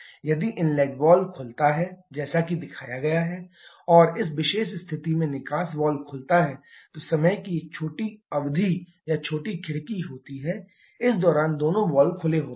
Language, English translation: Hindi, If the inlet valve open as it is shown and the exhaust valve opens at this particular position, then there is a small period of time or small window of time during this both valves are open